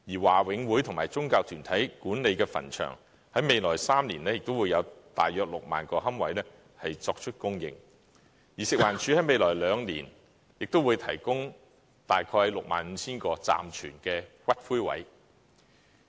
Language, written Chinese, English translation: Cantonese, 華永會和宗教團體管理的墳場在未來3年亦會有約 60,000 個龕位供應，而食環署在未來兩年亦會提供大約 65,000 個暫存骨灰位。, Cemeteries managed by BMCPC and certain religious organizations will provide some 60 000 niches in the coming three years and FEHD will provide some 65 000 temporary niches for storage of ashes in the coming two years